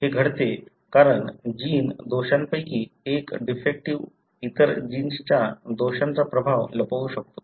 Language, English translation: Marathi, It happens, because one of the gene defects can mask the effect of other gene defect